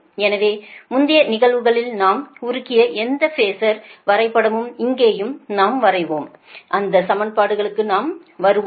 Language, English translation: Tamil, so whatever phasor diagram we have made in the previous cases, here also we will come, and those equations we will come